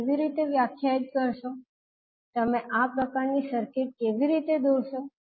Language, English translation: Gujarati, How you will define, how you will draw this kind of circuit